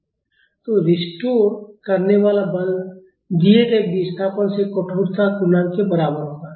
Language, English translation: Hindi, So, restoring force will be equal to the stiffness multiplied by the displacement given